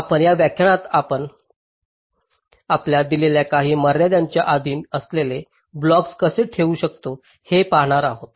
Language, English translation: Marathi, now here in this lecture we shall be looking at how we can place the blocks subject to some timing constraints which are given to us